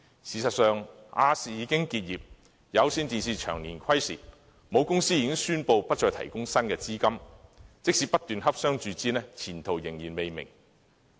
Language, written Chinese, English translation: Cantonese, 事實上，亞洲電視有限公司已經結業，而香港有線電視有限公司長年虧蝕，其母公司已宣布不再提供新資金，即使不斷洽商注資，前途仍然未明。, Indeed the Asia Television Limited has gone out of business and the Hong Kong Cable Television Limited which has been in the red for years faces an uncertain future after its parent company has announced the cessation of capital injection and notwithstanding the continued discussions for new sources of capital injection